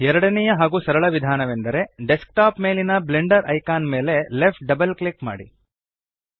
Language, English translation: Kannada, The second and easier way to open Blender is Left double click the Blender icon on the desktop